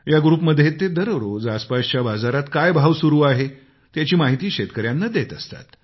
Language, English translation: Marathi, On this group everyday he shares updates with the farmers on prevalent prices at neighboring Mandis in the area